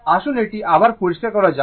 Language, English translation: Bengali, Now, again let me clear it